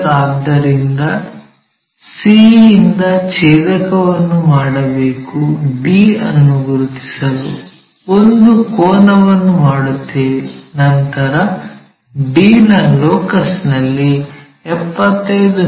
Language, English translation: Kannada, So, we have to make a cut from c make an angle there to locate d; then 75 mm we have to locate, 75 mm so this point, let us call d 1